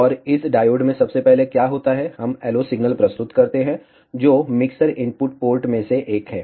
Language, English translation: Hindi, And what first happens is to this diode we present the LO signal, which is one of the mixer input ports